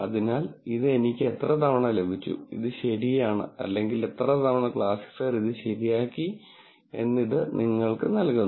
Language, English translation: Malayalam, So, this gives you how many times did I get, did it right or how many times did the classifier get it right